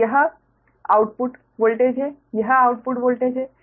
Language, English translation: Hindi, this is the output voltage, right